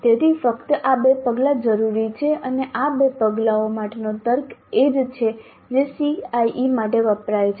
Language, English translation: Gujarati, So these two steps only are required and the rational for these two steps is the same as the one used for CIE